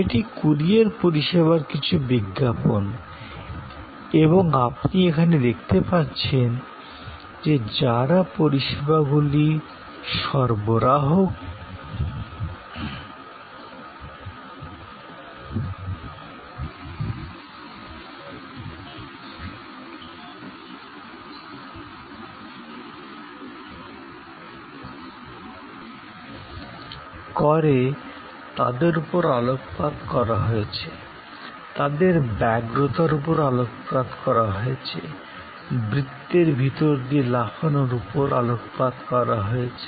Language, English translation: Bengali, So, this is some advertisement of the courier service and as you can see here, the people who provides services are highlighted, their eagerness is highlighted, the jumbling through the hoops that is highlighted